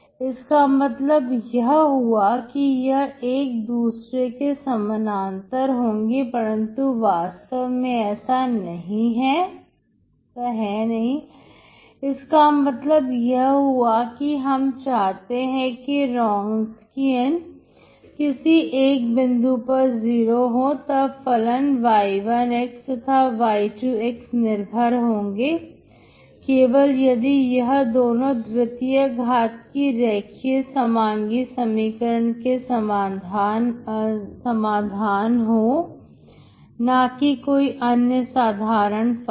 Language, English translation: Hindi, That means they have to be parallel to each other but that is not the case, that means if you want the Wronskian to be zero at some point, then the functions y1, and y2 are linearly dependent only if they are the solutions of second order linear homogeneous equation, not for general functions